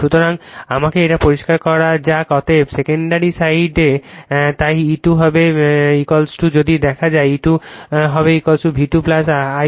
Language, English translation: Bengali, Therefore, in the secondary side secondary side so E 2 will is equal to if you look, E 2 will be is equal to V 2 plus I 2 R 2 plus j I 2 it